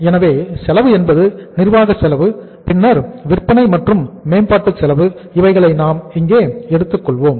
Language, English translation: Tamil, So cost is administrative cost and then we will be taking here as the sales and promotion cost also